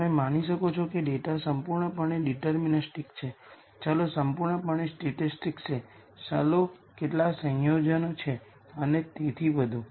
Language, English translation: Gujarati, You could assume the data is completely deterministic, variables are completely stochastic, variables are some combination and so on